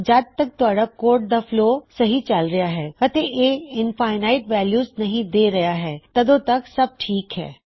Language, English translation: Punjabi, As long as your code works and flows properly and doesnt produce infinite values, you will be fine